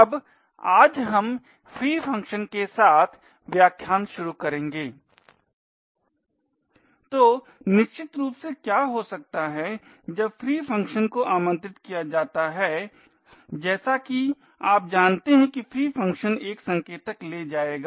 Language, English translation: Hindi, Now today we will start the lecture with the free functions, so essentially what could happen when the free function gets invoked as you know the free function would take a pointer